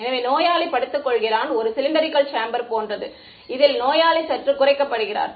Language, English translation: Tamil, So, the patient lies down and there is a like a cylindrical chamber and into which the patient is slightly lowered